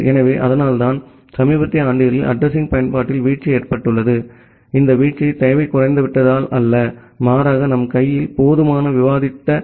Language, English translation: Tamil, So, that is why you will see that, there is a drop in address usage in the recent years and this drop is not because the demand has become less but rather we do not have sufficient number of IP addresses in our hand